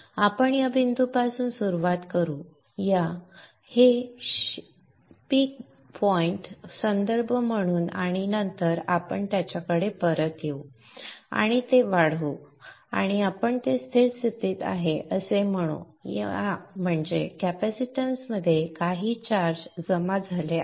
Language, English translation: Marathi, Let us start from this point, this peak point as a reference and then we will come back to it and extend it and let us say it is in a steady state which means that there is some charge accumulated in the capacitance